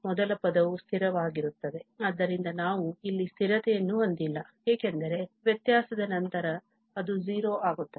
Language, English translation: Kannada, The first term is constant, so we do not have a constant here because after differentiation that will become 0